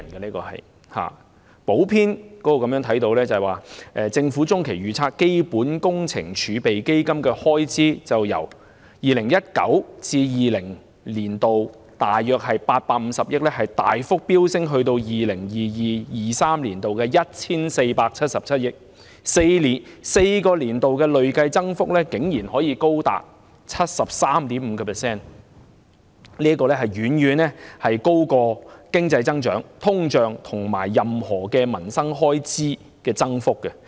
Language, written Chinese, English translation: Cantonese, 從財政預算案的補編中可見，根據政府的中期預測，基本工程儲備基金的開支會由 2019-2020 年度約850億元大幅飆升至 2022-2023 年度的 1,477 億元 ，4 個年度的累計增幅竟然高達 73.5%， 遠高於經濟增長、通脹，以及任何民生開支的增長幅度。, As we can see in the Supplement to the Budget according to the medium range forecast by the Government the expenditure under the Capital Works Reserve Fund will be increased substantially from approximately 85 billion in 2019 - 2020 to 147.7 billion in 2022 - 2023 representing a cumulative increase of 73.5 % in four years which is much higher than the economic growth inflation rate and the increase rate on any livelihood expenditures